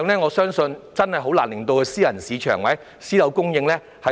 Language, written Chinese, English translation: Cantonese, 我相信這個比例難以應付私人市場或私樓供應。, I believe this ratio can hardly cope with the private market or private housing supply